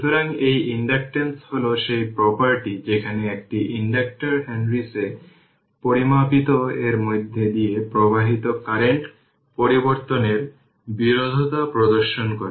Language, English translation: Bengali, So, that you inductance actually is the property whereby an inductor exhibits opposition to the change of current flowing through it measured in henrys right